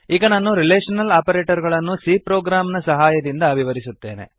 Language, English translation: Kannada, Now I will demonstrate the relational operators with the help of a C program